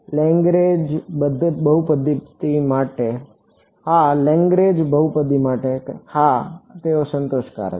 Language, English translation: Gujarati, For a Lagrange polynomial, yes, they are satisfying